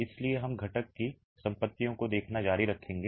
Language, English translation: Hindi, So, we will continue looking at the properties of the constituents